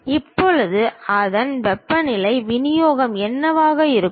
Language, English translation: Tamil, Now what might be the temperature distribution of that